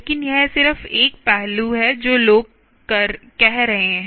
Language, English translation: Hindi, but that just one aspect of what people have been saying really